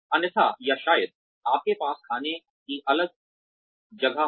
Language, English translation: Hindi, Otherwise or maybe, you have a separate eating place